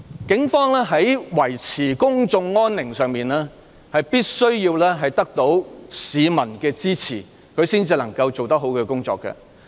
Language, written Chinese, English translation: Cantonese, 警方在維持公眾安寧上，必須得到市民的支持才能把工作做好。, To maintain public peace the Police can perform their duties only with the support of the public